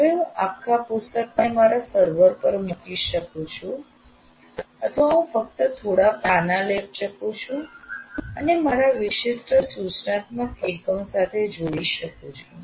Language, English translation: Gujarati, Now I can put the entire book on that, onto the, what do you call, on my server, or I can only take that particular few pages and link it with my particular instructional unit